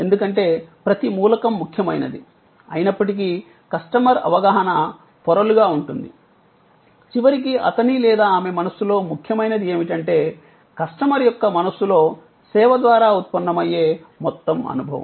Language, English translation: Telugu, Because, the customer perception though multi layered, though each element is important, but what ultimately matters in his or her mind, in the mind of the customer is the total experience that is generated by service